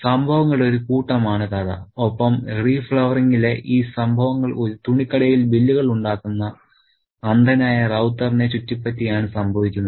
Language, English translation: Malayalam, And this set of events in re flowering happens around Ravta, a blind man who makes bills at a clothes shop